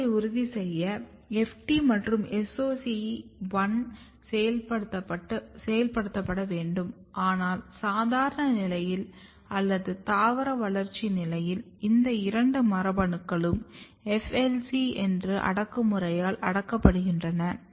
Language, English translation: Tamil, So, FT and SOC1 has to be activated, but under normal condition or under vegetative growth condition what happens that both of this genes are kept repressed by a repressor which is FLC